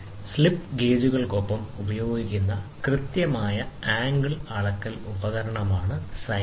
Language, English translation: Malayalam, Sine bar is a precision angle measurement instrument used along with slip gauges